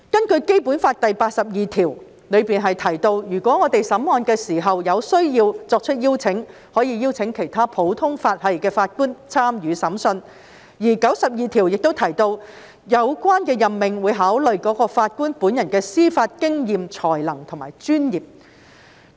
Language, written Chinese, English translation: Cantonese, 《基本法》第八十二條提到，如果在審案時有需要，是可以邀請其他普通法適用地區的法官參與審判，而第九十二條亦提到，有關任命會考慮該法官本人的司法經驗、才能及專業。, Article 82 of the Basic Law stipulates that CFA may invite judges from other common law jurisdictions to participate in the adjudication of cases if required . Article 92 also provides that the appointment of those judges should consider the experience as well as the judicial and profession qualities of individual judges